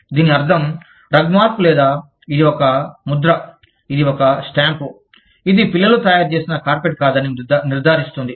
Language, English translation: Telugu, Which means, that Rugmark ensures that the, or, it is a seal, it is a stamp, that ensures that, the carpet has not been, made by children